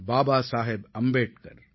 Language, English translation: Tamil, Baba Saheb Ambedkar